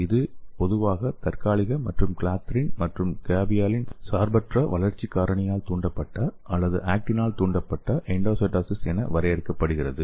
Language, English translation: Tamil, So it is commonly defined as the transient and this is a clathrin and caveolin independent growth factor induced or the actin driven endocytosis okay